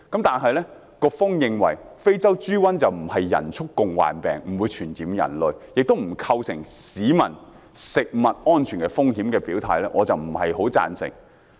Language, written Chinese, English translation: Cantonese, 但是，局方認為非洲豬瘟不是人畜共患病，不會傳染人類，亦不構成市民食物安全風險，我對此卻不太贊成。, But the Bureau is of the view that African swine fever is not a zoonotic disease which will spread to human beings and does not pose any risk to food safety of the community to which I do not quite agree . This can be explained in a simple example